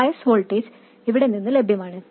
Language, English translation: Malayalam, The bias voltage is available from here